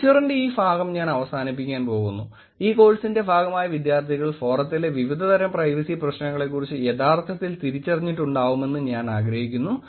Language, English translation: Malayalam, What I would like to actually leave this part of the lecture is actually I would like the students who are part of this course to actually point out different types of privacy issues on the forum